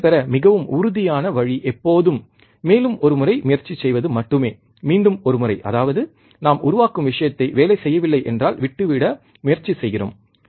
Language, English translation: Tamil, The most certain way of to succeed is always to try just once once more one more time; that means, that we generate try to give up the thing, right when it does not work